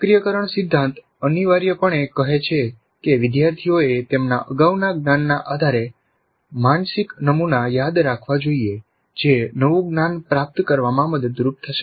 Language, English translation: Gujarati, The activation principle essentially says that the learners must recall a mental model based on their prior knowledge which would be helpful in receiving the new knowledge